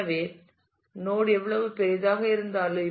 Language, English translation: Tamil, So, how large would be the node